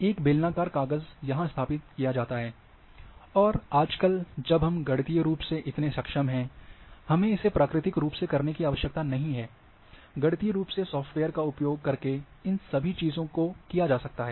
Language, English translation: Hindi, A cylinder shaped paper is set here, and when you exposed, nowadays mathematically you do not have to do it physically, and mathematically using software all these things can be done